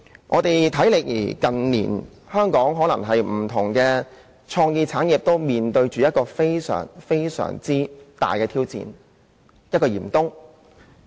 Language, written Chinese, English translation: Cantonese, 我們近年在香港看到的，是不同創意產業均面對非常大的挑戰，身處嚴冬中。, In recent years what we have seen in Hong Kong is the very big challenges facing different sectors of the cultural and creative industry . They are in the middle of the merciless winter